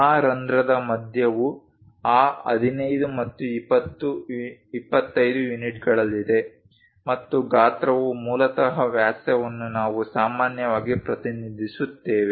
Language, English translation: Kannada, The center of that hole is at that 15 and 25 units and the size basically diameter we usually represent